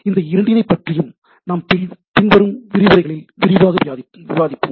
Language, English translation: Tamil, We will discuss about both of them in details in the subsequent lectures